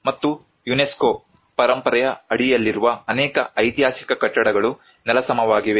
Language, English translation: Kannada, And many of the historic buildings which are under the UNESCO heritage have been demolished